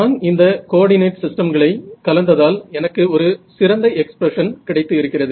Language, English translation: Tamil, So, I have mixed up these coordinate systems and I have got a very nice expression over here